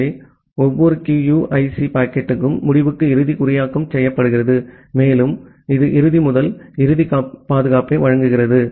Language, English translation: Tamil, So, every QUIC packet is end to end encrypted and it provides end to end security